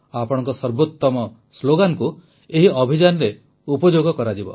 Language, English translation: Odia, Good slogans from you too will be used in this campaign